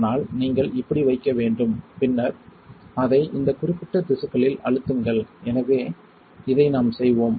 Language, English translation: Tamil, But you have to place like this and then you press it on this particular tissue, so this is the movement that we will do